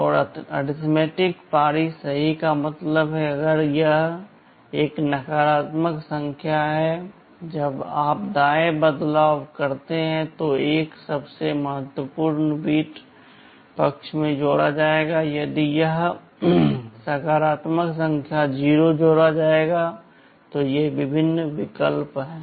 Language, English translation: Hindi, And, arithmetic shift right means if it is a negative number when you shift right, 1 will be added to the most significant bit side if it is positive number 0 will be added, these are the various options